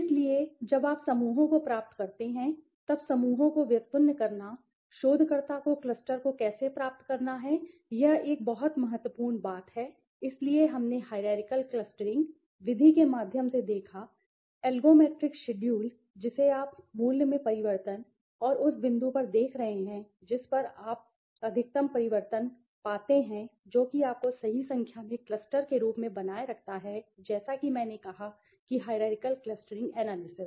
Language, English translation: Hindi, So, deriving clusters so when you how to derive the clusters, how does the researcher derive the cluster is a very important thing, so we saw through the hierarchical clustering method through the algometric schedule that you are looking at the change in the value and the point at which you find the maximum change you retain that as a number of clusters right, so as I said hierarchical clustering analysis